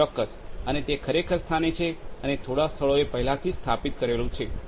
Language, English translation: Gujarati, Absolutely and it is actually in place and like it is already in installed at few places